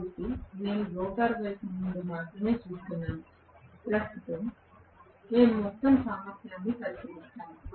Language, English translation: Telugu, So, I am looking at only from the rotor side currently we will look at the overall efficiency, of course